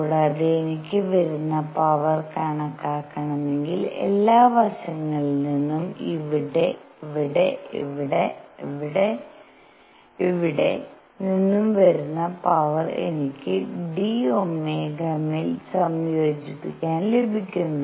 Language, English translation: Malayalam, And if I want to calculate the power coming from all sides, so here, here, here, here, here, here, here, here, I got to integrate over d omega